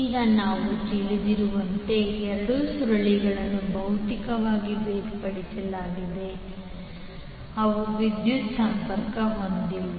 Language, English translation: Kannada, Now as we know that the two coils are physically separated means they are not electrically connected